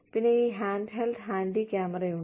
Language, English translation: Malayalam, And then, there is this, handheld handy cam, huge thing